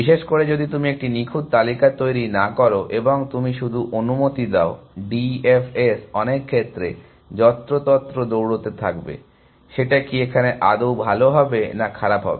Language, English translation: Bengali, In particular, if you do not maintain a close list and you just let, D F S in some sense run wild is that was good idea or bad idea to do